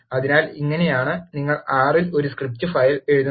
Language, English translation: Malayalam, So, this is how you write a script file in R